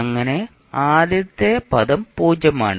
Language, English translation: Malayalam, So the whole function will be zero